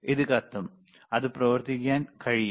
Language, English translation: Malayalam, It will burn, it cannot be operated, all right